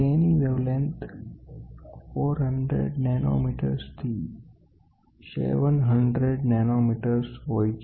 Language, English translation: Gujarati, It falls in the wavelength between 400 nanometres to 700 nanometres